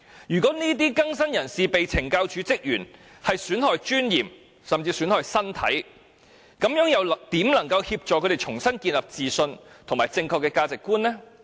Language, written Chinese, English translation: Cantonese, 如果這些更新人士被懲教署職員損害尊嚴，甚至損害身體，又怎能協助他們重新建立自信和正確的價值觀？, By damaging the prisoners dignity or even harming their bodies how can CSD officers help them rebuild confidence and foster the right values?